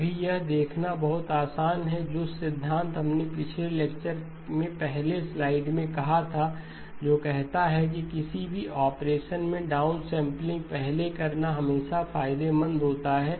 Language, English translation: Hindi, very easy to see, the principles that we have said in the last lecture earlier slide which says that it is always advantageous to do the down sampling first followed by any operation